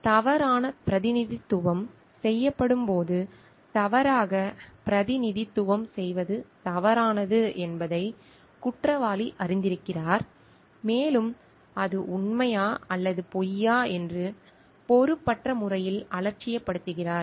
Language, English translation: Tamil, When false representation is made, the perpetrator knows that misrepresentation is false and recklessly disregards it to be true or false